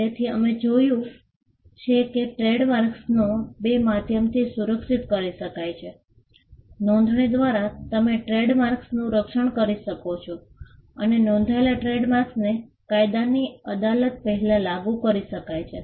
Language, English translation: Gujarati, So, we have seen that, trademarks can be protected by two means, by a registration you can protect trademarks and a registered trademark can be enforced before a court of law